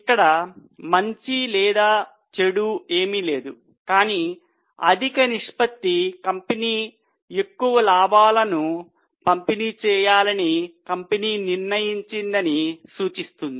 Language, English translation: Telugu, There is nothing good or bad, but higher ratio signifies that company is able to, company has decided to distribute more profits